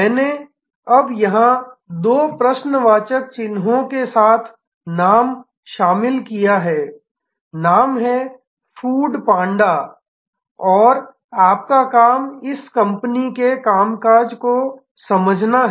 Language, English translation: Hindi, I have now included here a name with two question marks, the name is food panda and your assignment is to understand the working of this company